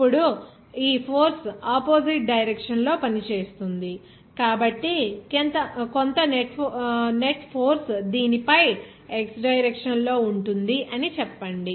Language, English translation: Telugu, Now, since this force will be acting in the opposite direction, then there will be some net force will be acting on this let us say x direction